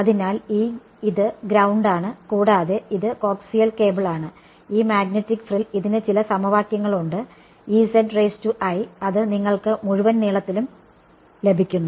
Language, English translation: Malayalam, So, this is ground and this is coax cable and this magnetic frill there are some equations for it which give you some E i z over the entire length ok